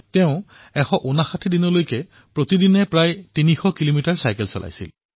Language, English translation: Assamese, She rode for 159 days, covering around 300 kilometres every day